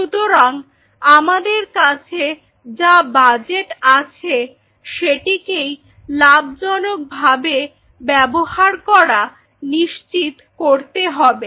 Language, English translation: Bengali, So, we have to ensure that within your available budget you are playing your gain